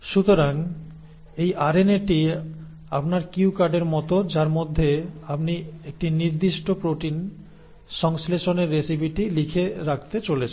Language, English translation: Bengali, So this RNA is like your cue card in which you are going to note down the recipe for the synthesis of a particular protein